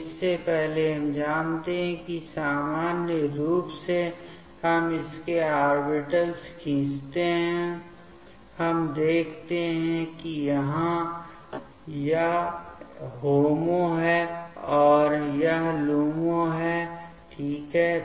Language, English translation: Hindi, So, before that we know that the in general the alkenes we draw its orbitals, we see that so here this is the HOMO and this is the LUMO ok